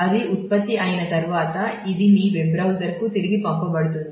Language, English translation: Telugu, And once that is generated then this will be passed back to the to your web browser